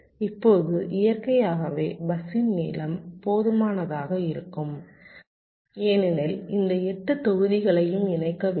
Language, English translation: Tamil, now, naturally, the length of the bus will be long enough because it has to connect all this eight modules